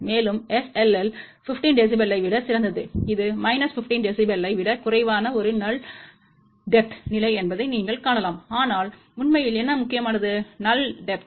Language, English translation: Tamil, And SLL is better than 15 dB, you can see that that is a side lobe level which is less than minus 15 dB, but what is really important is the null a depth